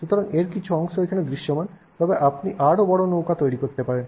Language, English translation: Bengali, So, part of it is visible here but you could make a larger boat